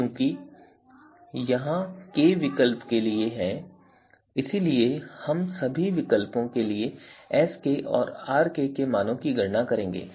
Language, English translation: Hindi, So, we are going to compute the values Sk and Rk for all the alternatives